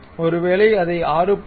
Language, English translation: Tamil, Maybe just make it 6